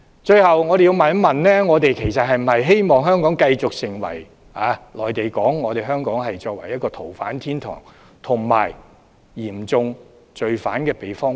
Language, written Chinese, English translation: Cantonese, 最後，我要問一問，我們是否希望香港繼續成為內地所說的逃犯天堂，以及嚴重罪犯的避風塘？, Finally I must ask Do we want to see Hong Kong continue to be a haven for fugitives and a shelter for offenders of serious crimes as described by the Mainland?